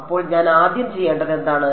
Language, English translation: Malayalam, So, what is the first thing I have to do